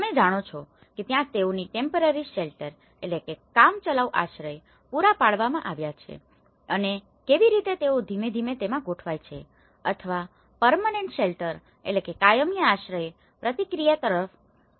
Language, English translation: Gujarati, You know there is a temporary shelter which they have been provided for them and how they gradually shaped into or progressed into a permanent shelter process